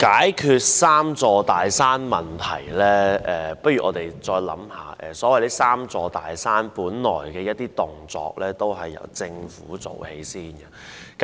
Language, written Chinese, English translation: Cantonese, 關於解決"三座大山"的問題，不如我們再思考一下，所謂的"三座大山"部分本來源於政府的措施。, With regard to the issue of overcoming the three big mountains let us ponder over it further . The so - called three big mountains partly originated from the policies implemented by the Government